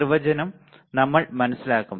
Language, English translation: Malayalam, We will just understand the definition